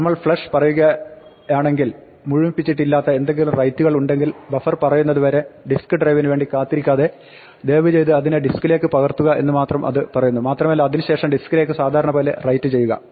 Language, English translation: Malayalam, In case we say flush, it just say if there are any pending writes then please put them all on to the disk, do not wait for the risk drives to accumulate until the buffer is full and then write as you normally would to the disk